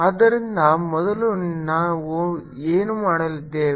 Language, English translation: Kannada, so what we will do again